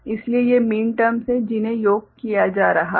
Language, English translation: Hindi, So, these are the minterms that is getting summed up